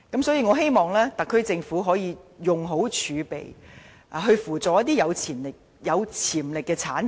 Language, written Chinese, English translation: Cantonese, 所以，我希望特區政府可以妥善運用儲備，扶助一些有潛力的產業。, Therefore I hope the SAR Government can make good use of its reserves to support sectors with potential